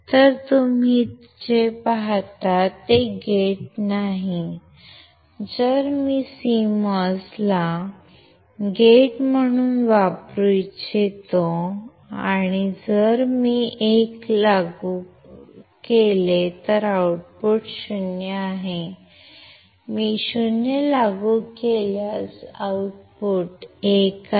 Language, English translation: Marathi, So, if you see is as not gate, if I want to use CMOS as a not gate , not gate is w if I apply 1 my output is 0 if I apply 0 my output is 1 right